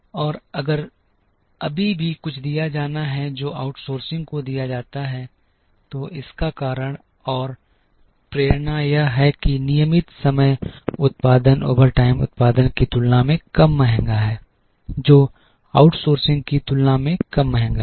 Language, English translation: Hindi, And if there is still something to be given that is given to the outsource, the reason and the motivation is that regular time production is less costlier than overtime production, which is less costlier than outsourcing